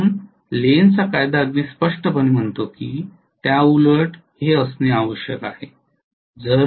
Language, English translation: Marathi, So Lenz’s Law very clearly says that has to be in the opposite